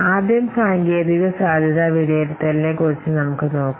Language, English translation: Malayalam, Let's see about this technical assessment first